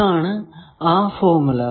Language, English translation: Malayalam, Now, this is the formula